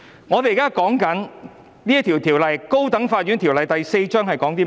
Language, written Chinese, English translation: Cantonese, 我們現在所討論的《高等法院條例》是關於甚麼的呢？, What is the High Court Ordinance Cap . 4 we are now discussing all about?